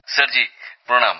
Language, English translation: Bengali, Sir ji Pranaam